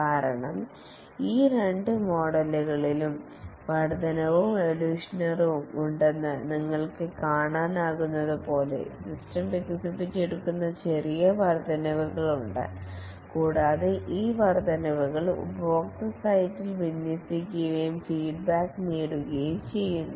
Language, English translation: Malayalam, Because as I can see that in both these models incremental and evolutionary, there are small increments over which the system is developed and these increments are deployed at the customer site and feedback obtained